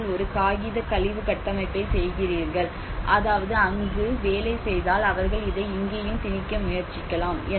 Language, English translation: Tamil, You are doing with a paper waste structure I mean if the structure is made of paper waste if it is worked out there then they might try to impose this here as well